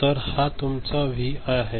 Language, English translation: Marathi, So, this is your Vi